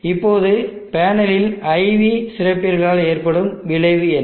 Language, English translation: Tamil, Now what is the effect on the characteristic IV characteristic of the panel